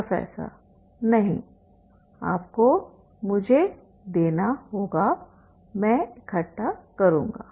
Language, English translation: Hindi, No, you have to give me I will collect